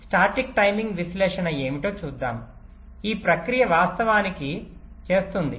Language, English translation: Telugu, let see, ah, what static timing analysis this process actually do